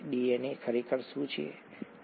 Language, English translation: Gujarati, What exactly is DNA, okay